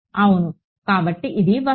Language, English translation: Telugu, Some yeah; so, this is the object